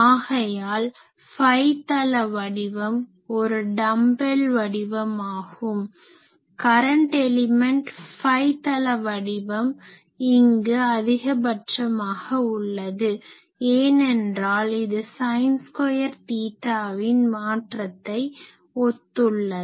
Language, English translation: Tamil, So, a phi plane pattern is dumbbell, current elements phi plane pattern is a dumbbell maximum here, it is a sin squared theta variation